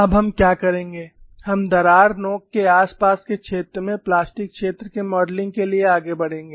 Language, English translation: Hindi, Now, what we will do is, we will move on to modeling of plastic zone near the vicinity of the crack tip